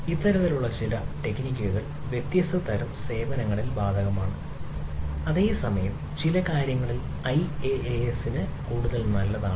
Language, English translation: Malayalam, so some of these type of techniques are applicable across the different type of services, whereas some of the ah things are more good to the iaas